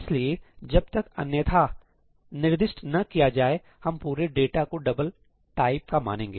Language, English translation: Hindi, unless specified otherwise, we will just assume all data to be of type double